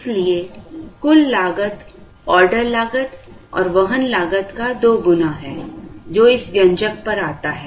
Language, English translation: Hindi, Therefore, the total cost is 2 times the order cost and carrying cost, which comes to this expression